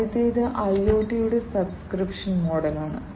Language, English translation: Malayalam, The first one is the subscription model for IoT